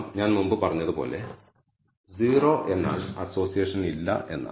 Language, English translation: Malayalam, Let us look at some of the things as I said 0 means no association